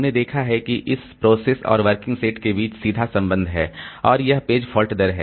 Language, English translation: Hindi, And we have seen that there are direct relationship between this working set of a process and the page fault rate